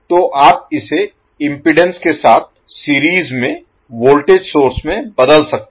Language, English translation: Hindi, So you can convert it back into a current voltage source in series with the impedance